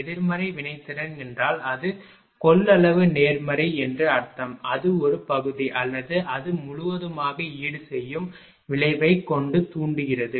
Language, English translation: Tamil, When negative reactance means it is capacitive positive means it is inductive with the effect of compensating in the part of part or all of it I told you right